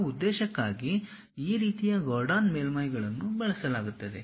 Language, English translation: Kannada, For that purpose these kind of Gordon surfaces will be used